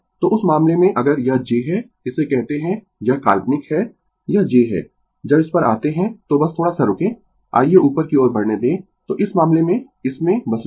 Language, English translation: Hindi, So, in that case if this is j this is your we call it is imaginary this is j, when you come to this just just ah just hold on little bit let me move upward , right